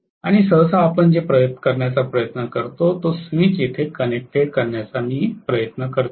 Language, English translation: Marathi, And generally what we try to do is to have a switch connected here